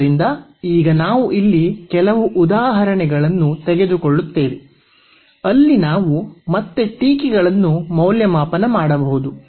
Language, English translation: Kannada, So, now, we will take some example here where we can evaluate just again a remarks